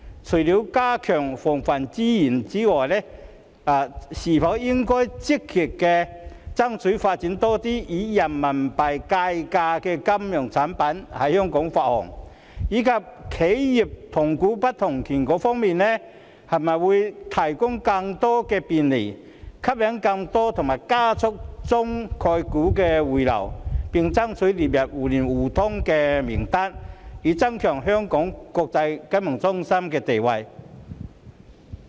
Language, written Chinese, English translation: Cantonese, 除了加強防衞之外，香港應否積極爭取發行更多以人民幣計價的金融產品，以及會否就企業的同股不同權提供更多便利，吸引更多及加速中概股回流，並且爭取列入互聯互通名單，以增強香港國際金融中心的地位？, Apart from taking enhancement measures to safeguard the market should Hong Kong actively strive for the issuing of more Renminbi - denominated financial products and will the Government provide more facilitation for corporate weighted voting rights to attract and accelerate the return of more China concepts stocks and strive for their inclusion in the mutual market access schemes with a view to enhancing Hong Kongs position as an international financial centre?